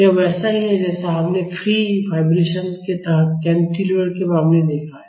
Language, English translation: Hindi, This is similar to what we have seen in the case of a cantilever under free vibration